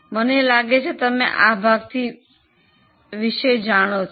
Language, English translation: Gujarati, I think this much part is known to you